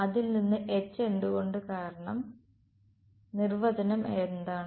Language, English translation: Malayalam, H from it why because what is the definition of right